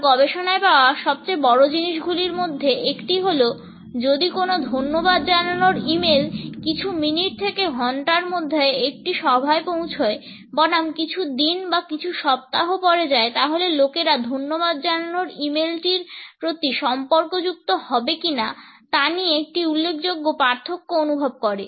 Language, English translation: Bengali, One of the greatest things, I found in my research is that if you send a thank you e mail within a few minutes or an hour of the meeting versus a few days or week later there is a significant difference in how people feel connected to that thank you